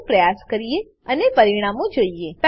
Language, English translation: Gujarati, Let us try each one and see the results